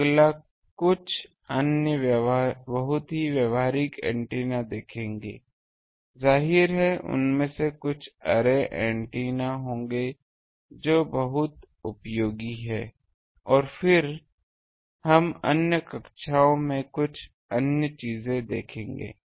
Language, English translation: Hindi, Next, we will see some other very practical antennas; obviously, some of them will be array antennas which are also very useful and then, we will see some other things in other classes